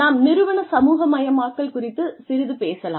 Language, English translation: Tamil, Let us talk a little bit about, organizational socialization